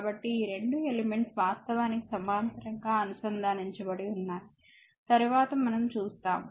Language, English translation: Telugu, So, this two sources are connected actually in parallel later we will see